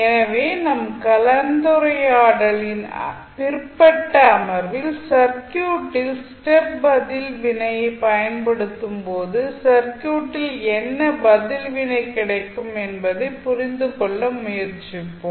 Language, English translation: Tamil, So, in the later session of our discussion we will try to understand that what will happen to the circuit response when you apply step response to the circuit